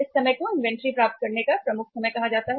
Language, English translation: Hindi, This time is called as the lead time to receive the inventory